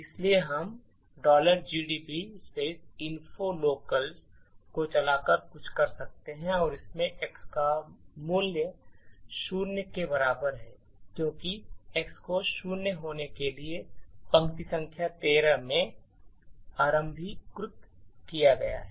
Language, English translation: Hindi, So, we could do something like info locals and this has value of x equal to zero this is because x has been initialized in line number 13 to be zero